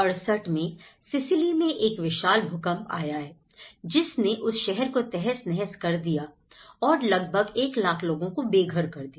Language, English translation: Hindi, In 1968, there has been a vast earthquake which has destroyed the restaurant Sicily almost leaving 1 lakh people homeless